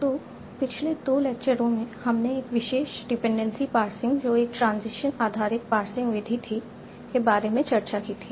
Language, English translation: Hindi, So in the last two lectures we had discussed a particular approach for Dwaytency passing that was a transition based passing method